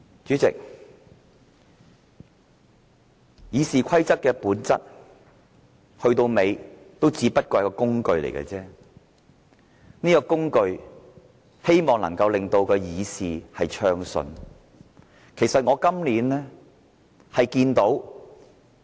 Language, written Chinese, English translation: Cantonese, 主席，《議事規則》的本質，說到底只不過是一個工具，希望能夠令議事暢順的工具。, President at the end of the day the very nature of RoP is but a tool a tool that enables the smooth conduct of Council businesses